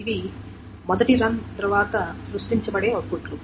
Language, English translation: Telugu, And these are the outputs that will be created after the first run